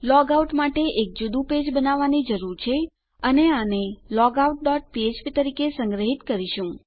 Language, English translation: Gujarati, To log out all we need to do is, we need to create a separate page and lets just save it as logout dot php